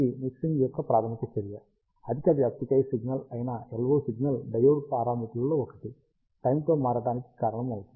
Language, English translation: Telugu, This is the basic of mixing action, that the LO signal which is a large amplitude signal causes one of the diode parameters to change in time